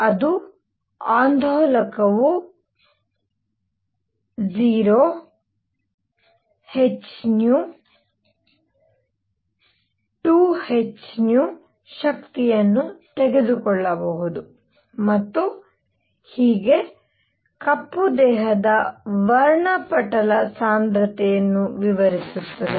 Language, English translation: Kannada, That is an oscillator can take energies 0 h nu 2 h nu and so on explains the black body spectral density